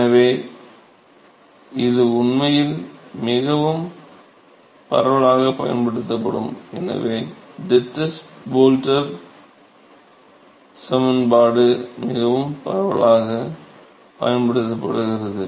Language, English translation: Tamil, So, this is actually something which is very very widely used, Dittus Boelter equation is very widely used and